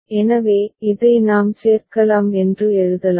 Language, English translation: Tamil, So, we can write we can include this one